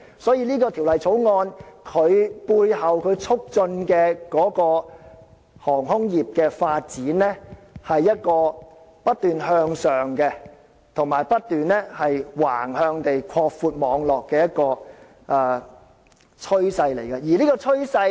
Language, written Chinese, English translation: Cantonese, 所以，《條例草案》所促進的航空業發展，就是一個不斷向上及不斷橫向擴闊網絡的一種趨勢。, Therefore the development of the aviation industry as promoted by the Bill is a trend made up of both an incessant upward movement and an incessant sideward expansion of network